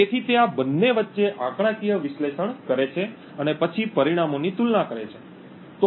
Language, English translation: Gujarati, So, he performs a statistical analysis between these two and then compares the results